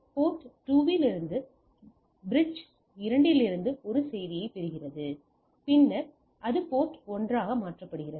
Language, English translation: Tamil, So, it gets the message A from bridge 2 as a from the at port 2 and then it converted to the port 1